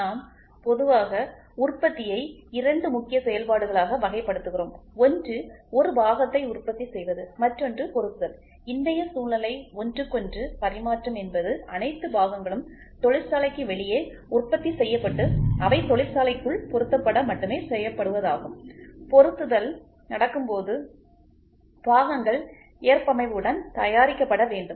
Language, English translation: Tamil, We generally classify manufacturing into 2 major operations, one is producing a part the other one is assembly, today’s scenario is interchangeability has come up to such an extent all parts are produced outside the factory only assembly happens inside the factory